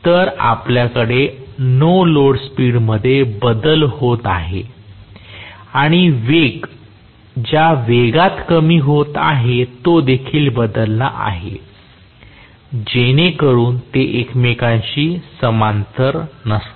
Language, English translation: Marathi, So, we are having variation in the no load speed itself and even the rate at which the speed is decreasing that is also changing so they are not parallel to each other